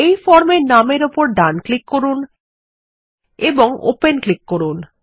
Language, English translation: Bengali, Let us right click on this form name and click on Open